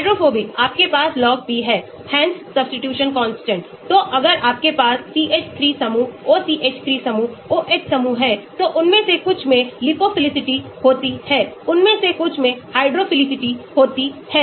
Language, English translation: Hindi, Hansch’s substitution constant, so if you have CH3 groups, OCH3 group, OH groups, some of them lead to liphophilicity, some of them lead to hydrophilicity right